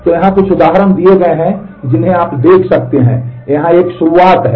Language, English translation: Hindi, So, here are certain examples which you could check out, here are a start